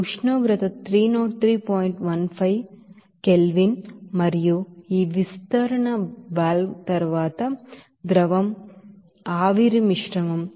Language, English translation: Telugu, 15 Kelvin and after this expansion valve, the mixture of liquid and vapor will be there at a pressure of 81